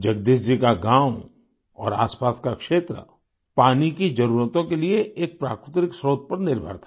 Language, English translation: Hindi, Jagdish ji's village and the adjoining area were dependent on a natural source for their water requirements